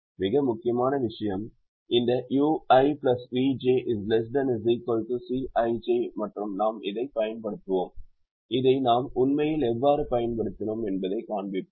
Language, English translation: Tamil, i plus v j, less than or equal to c i j, and we will use this and we will show how we have actually used this